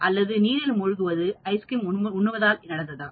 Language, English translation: Tamil, Or drowning causes ice cream consumption